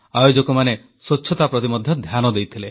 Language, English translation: Odia, The organizers also paid great attention to cleanliness